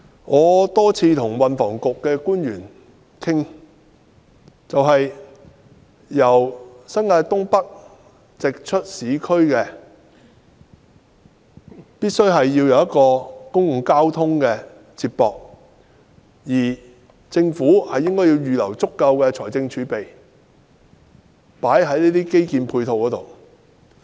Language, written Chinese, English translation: Cantonese, 我多次與運輸及房屋局官員討論由新界東北直達市區的方法，必須有公共交通接駁，而政府應預留足夠的財政儲備投放在這些基建配套上。, I have discussed with officials from the Transport and Housing Bureau on many occasions the ways to travel directly from NENT to urban areas . Public transport modes connecting NENT and urban areas are essential . The Government should also earmark a sufficient amount in the fiscal reserves for such infrastructural support